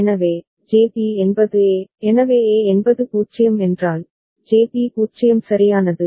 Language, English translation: Tamil, So, JB is A, so A is 0 means, JB is 0 right